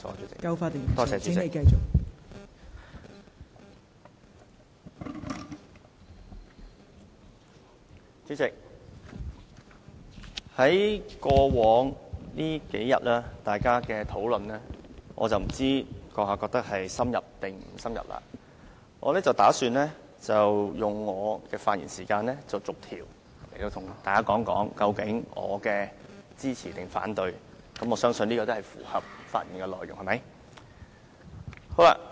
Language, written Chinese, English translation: Cantonese, 代理主席，我不知道你認為過往數天的討論是否夠深入，不過我打算利用我的發言時間，逐一向大家說明我要支持還是反對每一項修訂，而我相信這也符合發言的規定。, Deputy President I do not know whether you agree that we have had some adequately in - depth discussions in the past few days but I am going to devote my speaking time to setting out one by one whether I will vote for or against each proposed amendment and I believe a speech so delivered is in compliance with the relevant requirements